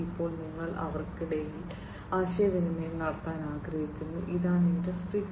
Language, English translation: Malayalam, And now you want to have communication between them, and that is what is the objective of Industry 4